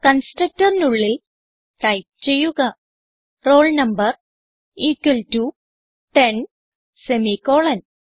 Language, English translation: Malayalam, So inside the constructor type roll number equal to ten semicolon